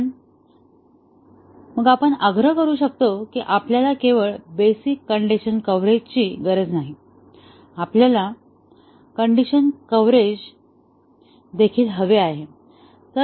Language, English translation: Marathi, But, then we can insist that not only we need basic condition coverage, we also want decision coverage